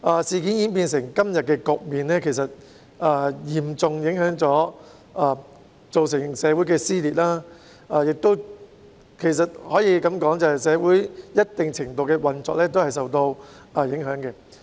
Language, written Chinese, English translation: Cantonese, 事件演變成今天的局面，其實已經造成社會撕裂，其實亦可以說，社會的運作已受到一定程度的影響。, Having developed into the state today the incident has in fact given rise to social dissension . In fact it can also be said that the operation of society has already been affected to a certain extent